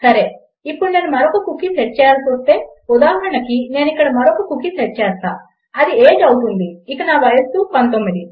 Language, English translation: Telugu, Okay now if had to set another cookie, lets say, I set another cookie here and this will be age and my age is 19